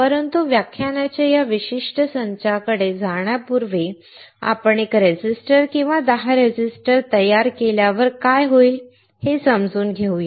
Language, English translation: Marathi, But before we go to those particular set of lectures, let us understand, what will happen when we fabricate 1 resistor or 10 resistors